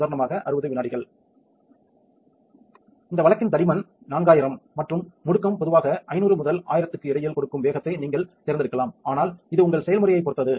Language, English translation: Tamil, You can select the speed which give you the thickness this case 4000 and the acceleration normally between 500 and 1000, but its depending on your process